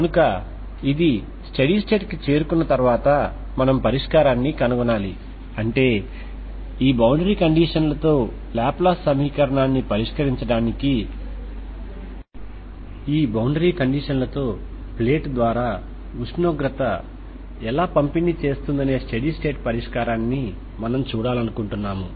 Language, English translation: Telugu, So once it reaches the steady state so we have to find the solution that means so you want to see the steady state solution of how the temperature distributes through the plate with these boundary conditions that is to solve laplace equation with this boundary conditions we will see how do we pose this problem as a boundary value problem